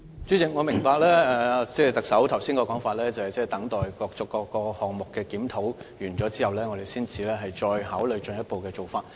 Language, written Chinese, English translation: Cantonese, 主席，我明白特首剛才的說法，即要等待各個項目完成檢討後，我們才考慮進一步的做法。, President I understand what the Chief Executive said just now . She means that we should wait for the review results before considering any further actions